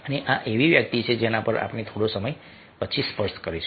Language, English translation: Gujarati, ok, and this is something we will touch upon a little later